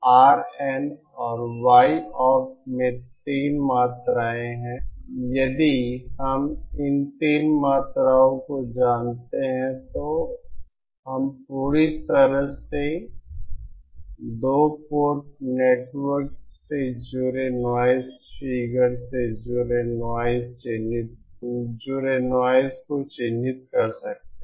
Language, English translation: Hindi, There are 3 quantities this F mean RN and Y opt if we know these three quantities then we can completely characterize the noise associated the noise noise figure associated with a two port network